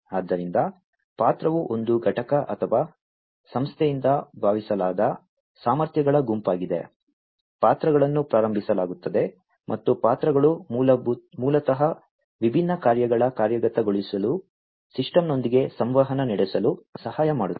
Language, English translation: Kannada, So, the role is the set of capacities that are assumed by an entity or an organization, the roles are initiated, and roles are basically the ones, which basically help in interacting with the system for the execution of the different tasks